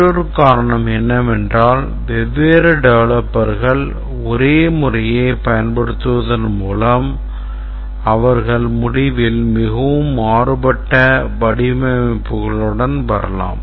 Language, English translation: Tamil, The first thing is that another reason is that different developers by using the same methodology they can come with very different designs at the end